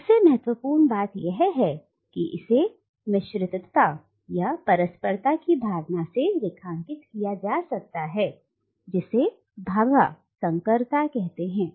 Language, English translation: Hindi, And most importantly it is underlined by a sense of mixedness or interconnectedness which Bhabha terms hybridity